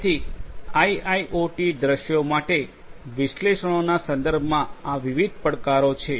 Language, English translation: Gujarati, So, these are the different challenges with respect to analytics for IIoT scenarios